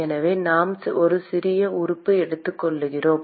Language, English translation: Tamil, So, let us say we take a small element